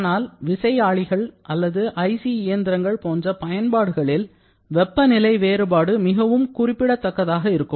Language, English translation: Tamil, However, like in several kinds of gas turbine or IC engine applications, the temperature variation can be very significant